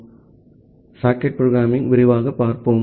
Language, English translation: Tamil, So, we will look into the socket programming in details